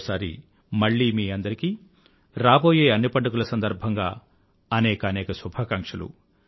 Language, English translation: Telugu, Once again, my best wishes to you all on the occasion of the festivals coming our way